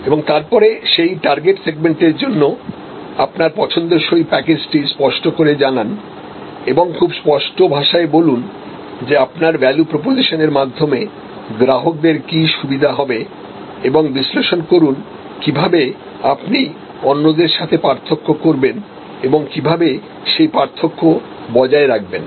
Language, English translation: Bengali, And then, articulate your desired position package of values for that target segment and very clear articulation, that what benefits will be offer through your value proposition and analyse how you will differentiate, how will you maintain the differentiation